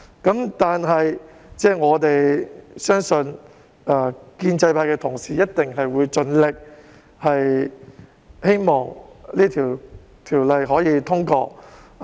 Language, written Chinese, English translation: Cantonese, 然而，我們相信建制派同事一定會盡力令《條例草案》通過。, Nevertheless we believe that Members from the pro - establishment camp will do their best to ensure the passage of the Bill